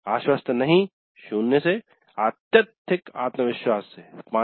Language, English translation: Hindi, Not confident, zero to highly confident five